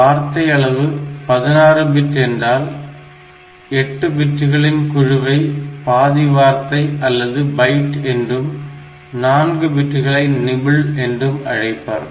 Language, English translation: Tamil, So, if we say that a word size is 16 bit then the group of 8 bits they are refer to half word or byte group of 4 bits is called a nibble